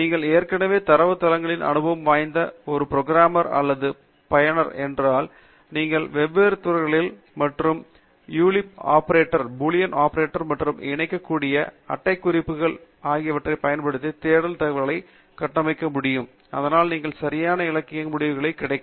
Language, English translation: Tamil, And if you are already an experienced programmer or user of data bases, then you will be able to configure search queries using different fields, and Boolean operators, and parentheses that will combine, so that you can perhaps get the right literature item within just one query